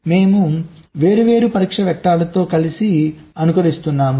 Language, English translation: Telugu, so we are simulating with different test vectors together